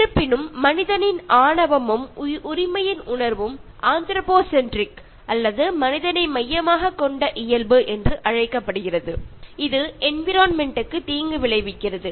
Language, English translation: Tamil, However, man’s arrogance and sense of entitlement, which is called as “anthropocentric” or man centred nature, has being harming the environment